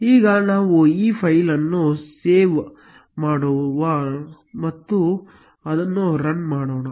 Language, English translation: Kannada, Now, let us save this file and run it